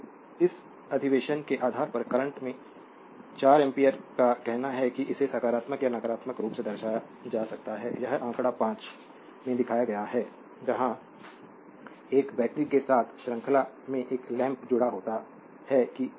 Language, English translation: Hindi, So, based on this convention a current of 4 amperes say may be represented your positively or negatively, this is shown in figure 5 where a lamp is connected in series with a battery look how it is